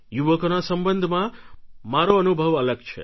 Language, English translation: Gujarati, My experience regarding youth is different